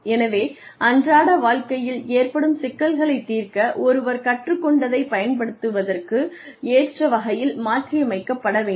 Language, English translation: Tamil, So, one should be able to modify, to apply, whatever one has learnt, in order to solve, simple day to day issues